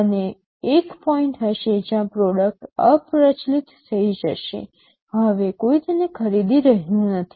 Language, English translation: Gujarati, And there will be a point where the product will become obsolete, no one is buying it anymore